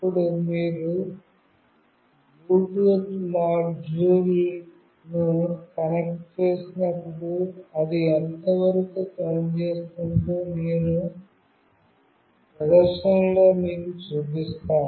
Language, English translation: Telugu, Now, I will be showing you in the demonstration how exactly it works when you connect a Bluetooth module